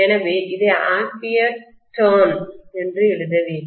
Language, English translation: Tamil, So we should write this as ampere turn